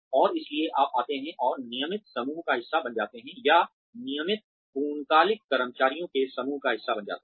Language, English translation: Hindi, And, so you come and sort of, become part of the regular group, or the group of, regular full time employees